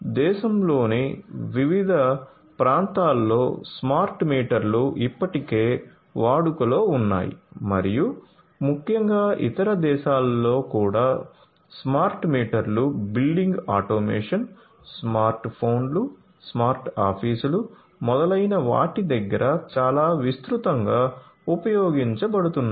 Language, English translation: Telugu, So, smart meters the deployment of smart meters basically has already happened throughout our country in India you know so, in different parts of the country smart meters are already in use and particularly in other countries also smart meters are quite widely used building automation, smart phones, smart offices etcetera